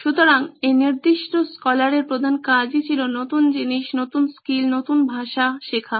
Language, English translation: Bengali, So this particular scholar’s main job was to learn new things, new skills, new languages